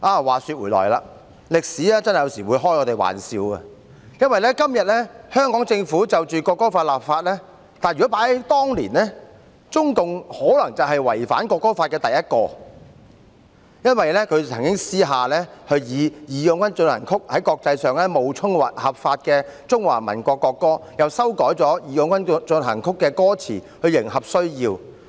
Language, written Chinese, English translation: Cantonese, 話說回來，歷史有時真的會和我們開玩笑，因為今天香港政府就國歌立法，但在當年，中共可能是第一個違反國歌法，他們曾經私下以"義勇軍進行曲"在國際上冒充合法的中華民國國歌，又修改"義勇軍進行曲"的歌詞來迎合需要。, That said history could really be playing a joke on us sometimes . While the Hong Kong Government is enacting legislation on the national anthem today CPC was probably the first to break the national anthem law years back when it clandestinely passed off March of the Volunteers as the legitimate national anthem of the Republic of China in the international community . It even revised the lyrics of March of the Volunteers to suit its needs